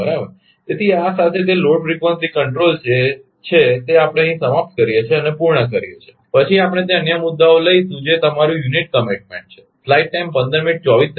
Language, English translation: Gujarati, So, with this that load frequency control right we are ah concluding here and up then we will take that another topic that is your unit commitment